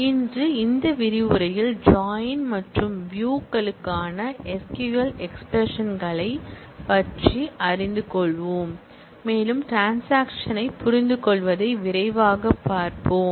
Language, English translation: Tamil, Today, we will, in this module learn about SQL expressions for join and views and we will take a quick look into understanding the transaction